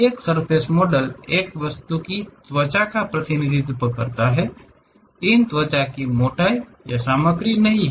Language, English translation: Hindi, A surface model represents skin of an object, these skins have no thickness or the material